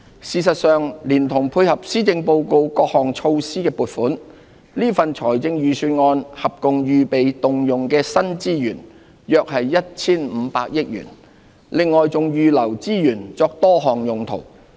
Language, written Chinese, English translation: Cantonese, 事實上，連同配合施政報告各項措施的撥款，這份預算案合共預備動用的新資源約 1,500 億元，另外還預留資源作多項用途。, In fact to support the implementation of various measures including those proposed in the Policy Address I will provide new resources ready for use of about 150 billion in this Budget with additional resources earmarked for various purposes